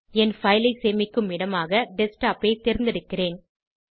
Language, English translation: Tamil, I will select Desktop as the location to save my file